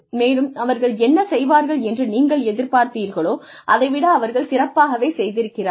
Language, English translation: Tamil, And, they are doing better than, you expected them to do